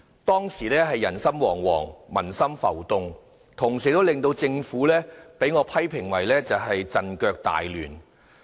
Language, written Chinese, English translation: Cantonese, 當時人心惶惶、民心浮動，同時，我批評政府是陣腳大亂。, The Government as I criticized was thrown into confusions and chaos that time